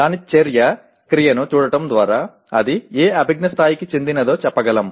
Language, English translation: Telugu, By looking at its action verb we can say what cognitive level does it belong to